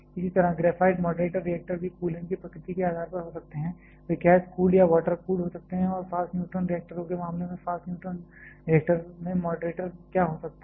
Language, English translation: Hindi, Similarly, graphite moderator reactors also depending upon nature of the coolant, they can be gas cooled or water cooled and in case of fast neutron reactors what can be the moderator in the fast neutron reactor